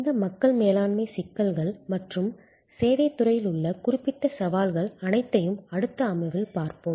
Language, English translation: Tamil, And we will look at all these people management issues and the particular challenges in the service industry in the later session